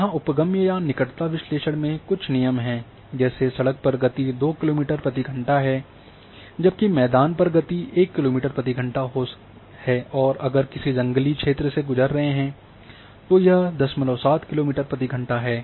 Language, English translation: Hindi, Now in accessibility or either proximity analysis there are certain rules that the speed along the road is going to be two kilometer per hour, whereas the speed along the field is going to be one kilometer per hour and if one has to walk through the bush area then it is a 0